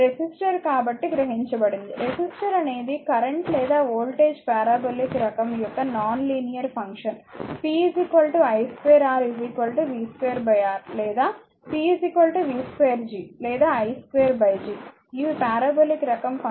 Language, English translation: Telugu, Resistor observed power so, power resistor is a non linear function of the either current or voltage this is it is a parabolic type p is equal to i square R is equal to v square by R or p is equal to v square G or i square by G it is a parabolic type of functions, right